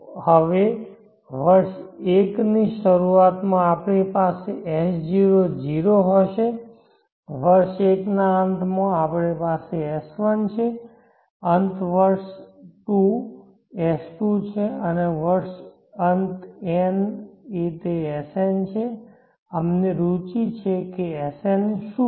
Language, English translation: Gujarati, Now at the beginning of year 1 we will have s0, at the end of year 1 we have s1, at the end year 2, s2 and the end of year n it is sn, here we are interested in finding what is sn